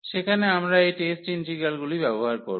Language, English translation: Bengali, So, there we will be using some this test integral